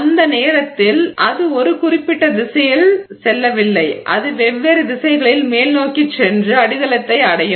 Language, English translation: Tamil, So, at that point there is no specific direction in which it is headed, it is just headed up in different directions and it hits the substrate